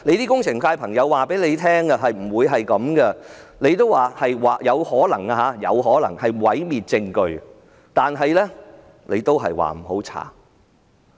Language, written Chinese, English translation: Cantonese, 工程界的人士告訴她不會這樣，她說"有可能"是毀滅證據，但卻說不要調查。, Members of the engineering sector told her it should not be the case . She said it was possible destruction of evidence but no inquiry was to be conducted